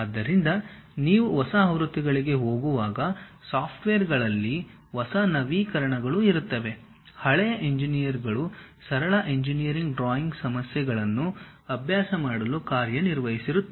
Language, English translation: Kannada, So, when you are going for new versions, new updates will be there for the software still the older versions work for practicing the simple engineering drawing problems